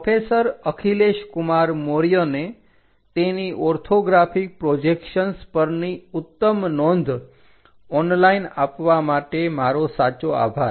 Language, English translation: Gujarati, Our sincere thanks to professor Akhilesh Kumar Maurya for his excellent materials provided on online on Orthographic Projections